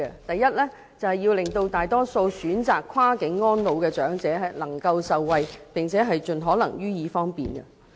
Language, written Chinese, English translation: Cantonese, 第一，要令大多數選擇跨境安老的長者受惠，並盡可能予以方便。, Firstly a majority of the elderly who choose cross - boundary retirement can be benefited in a convenient manner